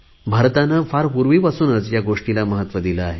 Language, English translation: Marathi, In India, this has been accorded great importance for centuries